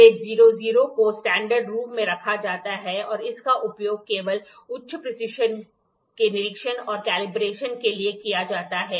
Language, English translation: Hindi, Grade 00 is kept in the standards room and is used for inspection and calibration of high precision only